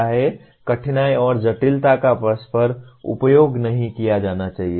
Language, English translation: Hindi, Difficulty and complexity should not be interchangeably used